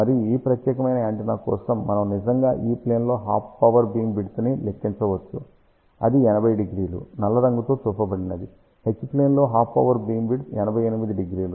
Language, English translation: Telugu, And for this particular antenna, we can actually calculate half power beamwidth in the E plane which is shown with the black color that is 80 degree, half power beamwidth in the H plane is 88 degree